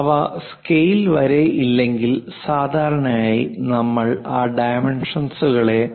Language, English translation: Malayalam, If those are not to up to scale then usually, we represent those dimensions